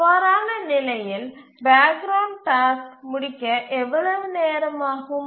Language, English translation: Tamil, So, in that case, how long will the background task take to complete